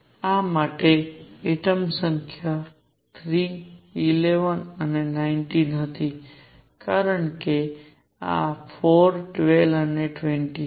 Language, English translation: Gujarati, The atomic numbers for these were 3, 11 and 19, for these were 4, 12 and 20